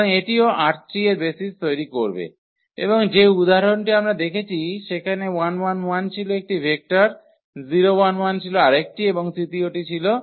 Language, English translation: Bengali, So, that will also form the basis for R 3 and the example we have seen those 1 1 1 that was 1 vector another one was 1 0 and the third one was 1 0 0